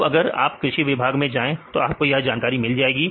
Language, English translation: Hindi, Now if you go to the agricultural department, you can get this information